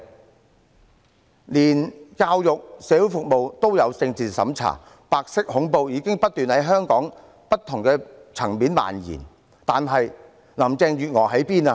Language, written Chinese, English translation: Cantonese, 即使教育和社會服務也有政治審查，白色恐怖已不斷在香港社會的不同層面蔓延，但林鄭月娥身在何處？, Political censorship exists in education and social services which indicates that white terror is spreading in various sectors in Hong Kong . But where was Carrie LAM?